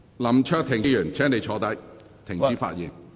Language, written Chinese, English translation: Cantonese, 林卓廷議員，請坐下，停止發言。, Mr LAM Cheuk - ting please sit down and stop speaking